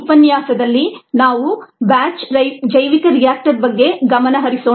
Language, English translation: Kannada, in this lecture let us focus on the batch bioreactor